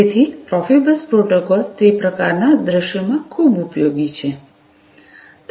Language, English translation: Gujarati, So, Profibus protocol is very much useful, in those kind of scenarios